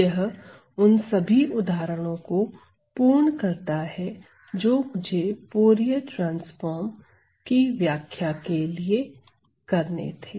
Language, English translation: Hindi, So, that completes that, some of the examples that I had to describe for the Fourier transform